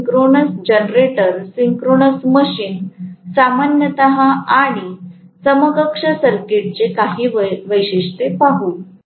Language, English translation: Marathi, So, will look at further characteristic of the synchronous generator, synchronous machine, in general, and the equivalent circuit, okay